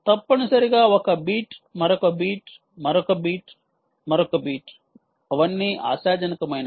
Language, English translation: Telugu, essentially there is one beat, another beat, another beat, another beat, all of them, hopefully